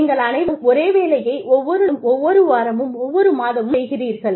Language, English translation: Tamil, Where, you do the same job, day after day, week after week, month after month